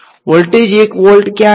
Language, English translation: Gujarati, Where all is the voltage one volt